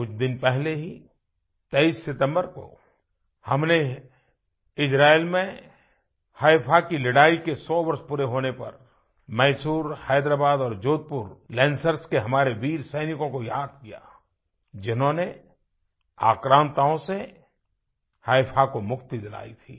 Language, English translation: Hindi, A few days ago, on the 23rd of September, on the occasion of the centenary of the Battle of Haifa in Israel, we remembered & paid tributes to our brave soldiers of Mysore, Hyderabad & Jodhpur Lancers who had freed Haifa from the clutches of oppressors